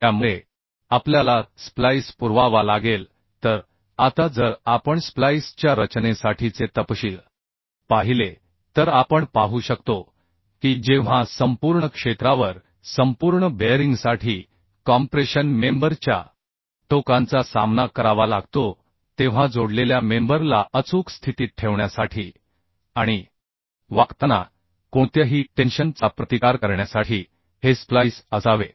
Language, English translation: Marathi, So now if we see the specification for design of splices we can see that when the ends of the compression members are faced for complete bearing over the whole area these should be spliced to hold the connected members accurately in position and to resist any tension when bending is present